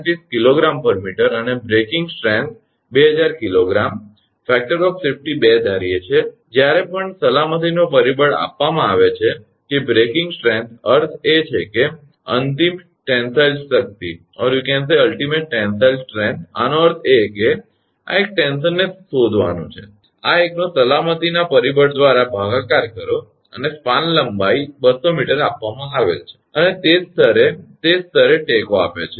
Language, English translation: Gujarati, 6 kg per meter and breaking strength 2000 kg assuming a factor of safety 2, whenever factor of safety will be given that the breaking strength means ultimate tensile strength; that means, this one tension has to be found out to this one divided by factor of safety right, and span length is given 200 meter and right, and supports at the same level right they are at the same level